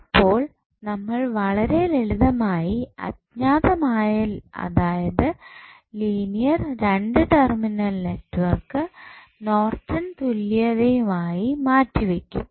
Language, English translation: Malayalam, So, you will simply replace the unknown that is linear to terminal network with the Norton's equivalent